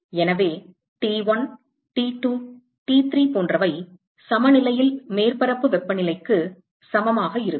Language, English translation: Tamil, So, T1, T2, T3 etcetera that will be equal to the temperature of the surface at equilibrium